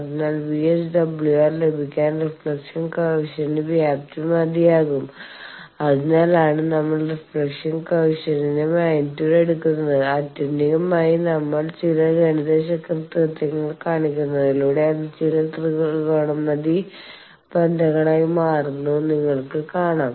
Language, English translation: Malayalam, So, the magnitude of the reflection coefficient is sufficient to get VSWR, that is why we take the magnitude of the reflection coefficient, and that turns to be these ultimately you will see that we some mathematical manipulation it become a some trigonometric relations